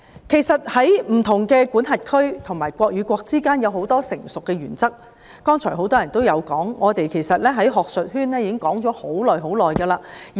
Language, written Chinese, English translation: Cantonese, 其實，在不同的司法管轄區及國與國之間有很多成熟的原則，剛才很多議員都有提到，我們在學術界亦已討論了很長時間。, In fact there are a number of mature principles in different jurisdictions as well as between countries . While such principles have been mentioned by many Members just now they have also been discussed by us in the academia for a very long time